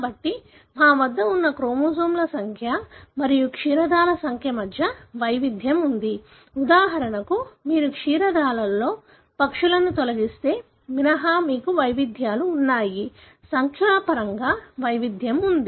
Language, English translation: Telugu, So, you have variation in terms of the number of chromosomes that we have and among the mammals, we do have variations except for example if you remove the birds, in mammals; there is a variation in terms of numbers